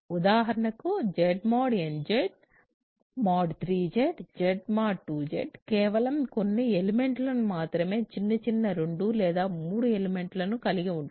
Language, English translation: Telugu, For example, Z mod n Z mod 3 Z Z mod 2 Z have only few elements right small 2 or 3 elements